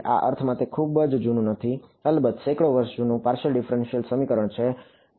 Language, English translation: Gujarati, In the sense that it is a not very very old, partial differential equation of course, hundreds of years old